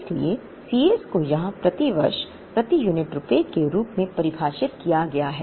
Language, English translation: Hindi, So, C s is defined here as rupees per unit per year